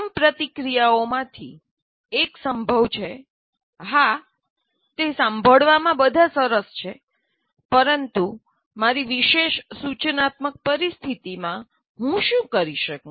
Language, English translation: Gujarati, One of the first reactions is likely to be, yes, it's all nice to hear, but what can I do in my particular instructional situation